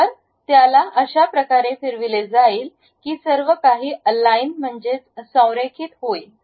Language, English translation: Marathi, So, it will be rotated in such a way that everything will be aligned